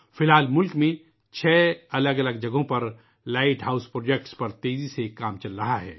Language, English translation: Urdu, For now, work on Light House Projects is on at a fast pace at 6 different locations in the country